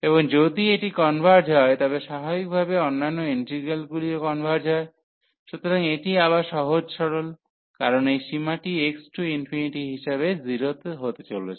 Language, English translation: Bengali, And if this converges then naturally the other integral will also converge, so that is again a simple so, because this limit is coming to be 0 as x approaches to infinity